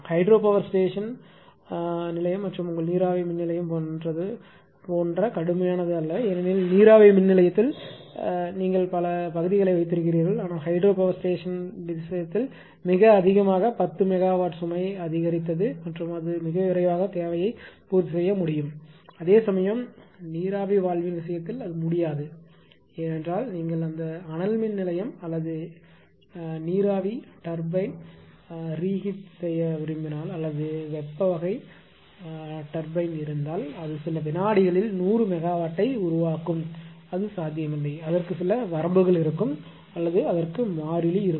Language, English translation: Tamil, Ah because hydro actually is ah your ah what your what I will say is constant and not that stringent like your steam power plant right because in the steam power plant you have boilers economizer many other many other parts right, but in the case of hydro gates it picks up the generation very faster suppose 10 megawatt load has increased and suddenly, it can meet the demand very quickly whereas, in the case of steam valve it cannot that because generation rate constant are limit if you want that thermal power plant or steam turbine right non reheat or heat type turbine if it is there it will generate a 100 megawatt in few second, it is not possible, it will it has some limit right or it has some constant